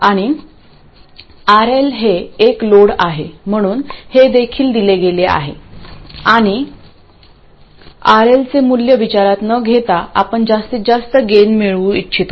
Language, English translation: Marathi, And RL is the load, so this is also given and regardless of the value of RL we would like to maximize the gain